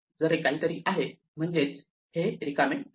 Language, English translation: Marathi, If it is not none, it is not empty